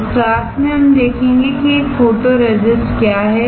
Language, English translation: Hindi, In this class, we will see what a photoresist is